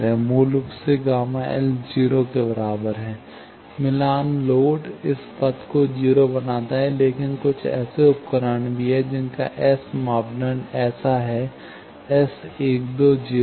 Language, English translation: Hindi, Basically, gamma L is equal to 0; matched load makes this path 0; but, there are also some devices whose S parameter is such that, S 1 2 is 0